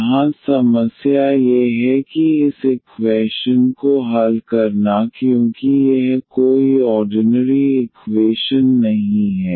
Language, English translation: Hindi, The problem here is that solving this equation because this is not an ordinary equation